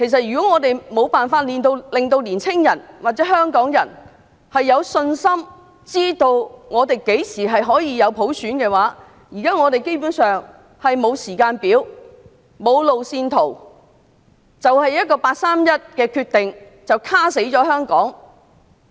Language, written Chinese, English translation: Cantonese, 如果我們無法令年青人或香港人有信心，知道香港何時可以有普選......現在基本上是沒有普選的時間表、路線圖，只因一個八三一決定便"卡死"香港。, If we cannot inspire confidence in the young people or Hong Kong people so that they know when there will be universal suffrage in Hong Kong at present basically we have no timetable or roadmap for universal suffrage all because the 31 August Decision has rendered Hong Kong straitjacketed